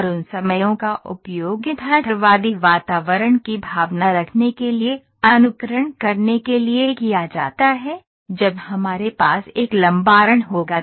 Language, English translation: Hindi, And those times are then used to conduct simulation for having the feel of the realistic environment when we will have a long run